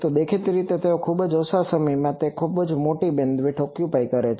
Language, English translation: Gujarati, So, obviously they are so short in time they occupy large bandwidth